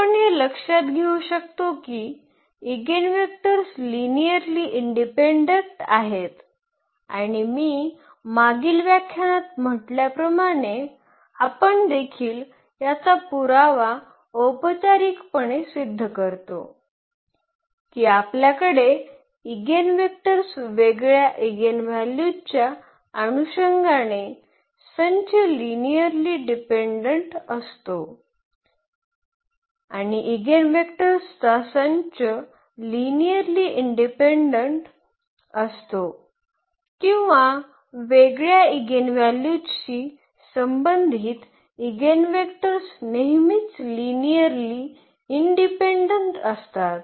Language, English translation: Marathi, Again we can note that these eigen vectors are linearly independent and as I said in the previous lecture that we will also proof formally this result that corresponding to distinct eigenvalues we have the eigenvectors, the set is linearly dependent the set of eigenvectors is linearly independent or the eigenvectors corresponding to distinct eigenvalues are always linearly independent